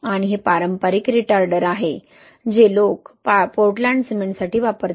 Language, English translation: Marathi, And this is the conventional retarder which people use for Portland cement